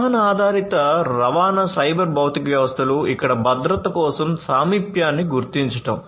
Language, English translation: Telugu, Vehicle based transportation cyber physical systems where proximity detection for safety you know